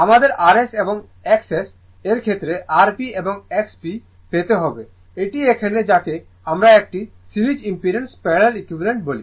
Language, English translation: Bengali, We have to obtain R P and X P in terms of R S and X S this is eh here what we call that parallel equivalent of a series impedance